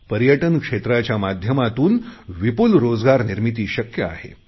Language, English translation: Marathi, Tourism is a sector that provides maximum employment